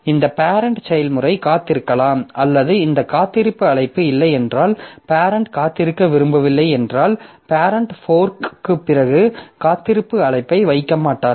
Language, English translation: Tamil, So, this parent process may be wait or if this wait call is not there, if the parent does not want to wait, then the parent will not put an wait call after fork